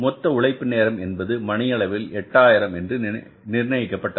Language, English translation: Tamil, That the total 8,000 hours the labour will work